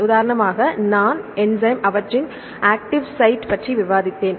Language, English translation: Tamil, For example, I discussed about the enzyme, the active sites